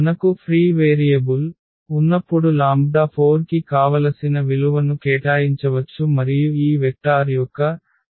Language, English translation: Telugu, So, when we have a free variable we can assign any value we want to this lambda 4 and then our representation of this given vector will also change